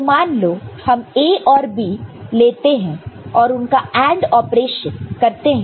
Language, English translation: Hindi, So, let us consider this A and B this is AND operation all right